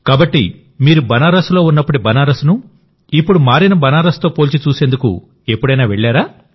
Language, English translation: Telugu, So, did you ever go to see the Banaras of that time when you were there earlier and the changed Banaras of today